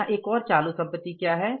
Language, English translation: Hindi, What is the one more current asset here